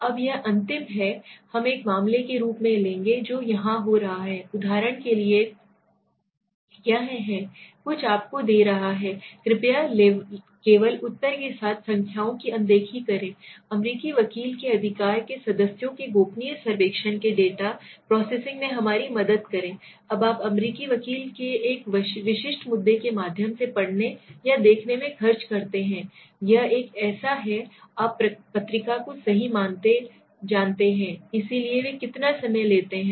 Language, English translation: Hindi, Now this is the last we will take as a case what is happening here is for example this are something is giving to you please ignore the numbers alongside the answers there are only to help us in data processing a confidential survey of a subscribers of an the American lawyer right, now do you spend reading or looking through a typical issue of the American lawyer this is a like a you know journal right, so how much time are they taking